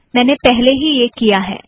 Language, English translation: Hindi, I have already done that